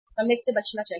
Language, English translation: Hindi, We should avoid that